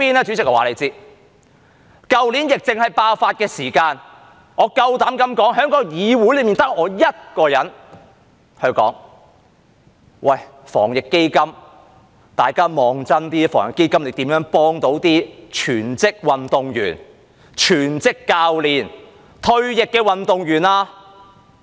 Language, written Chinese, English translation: Cantonese, 主席，我告訴你，去年疫症爆發時，我敢說在議會內只得我一人問：大家看真一點，防疫基金如何幫助全職運動員、全職教練、退役的運動員呢？, President let me tell you when the epidemic broke out last year I dare say I was the only one in this Council who asked Take a closer look how can the Anti - epidemic Fund help full - time athletes full - time coaches and retired athletes?